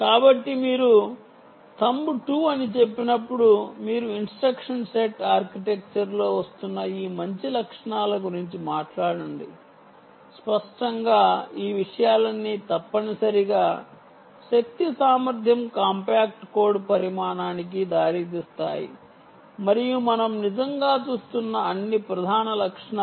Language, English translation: Telugu, so when you say thumb two, you are talking about all these nice features which are coming in the instruction set architecture and obviously all these things essentially will lead to um energy efficiency, compact code size and all features that we all, the main features that we are really looking at